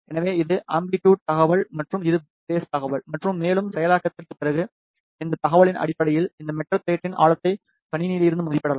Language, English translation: Tamil, So, this is the amplitude information and this is a phase information and based on this information after further processing we can estimate the depth of this metal plate from the system